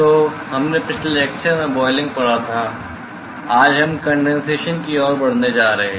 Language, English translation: Hindi, So, we looked at boiling in the last lecture today we are going to move to condensation